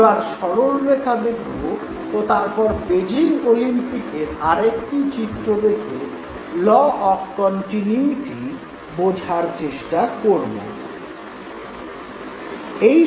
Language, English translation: Bengali, Now let us take example of straight lines and then we will look at one of the events from Beijing Olympics to understand the law of continuity